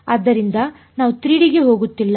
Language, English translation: Kannada, So, we’re not going to 3D ok